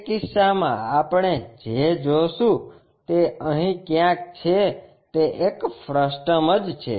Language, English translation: Gujarati, In that case what we will see is somewhere here it is a frustum